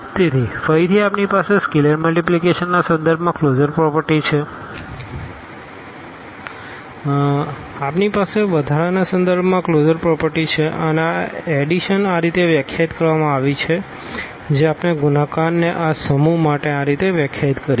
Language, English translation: Gujarati, So, again we have the closure property with respect to this scalar multiplication, we have the closure property with respect to the addition and this addition is defined in this way which we have explained the multiplication is defined in this way for this set